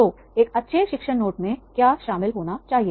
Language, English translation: Hindi, So, what should be included in a good teaching note